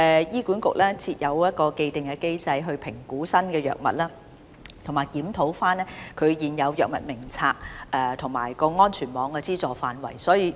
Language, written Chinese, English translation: Cantonese, 醫管局設有一個既定的機制來評估新藥物，以及檢討現有《藥物名冊》及安全網的資助範圍。, HA has an established mechanism for new drug appraisal and review of the existing HADF and the scope of subsidy of the safety net